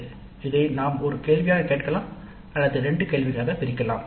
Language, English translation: Tamil, We can ask this as a single question or we can put into two questions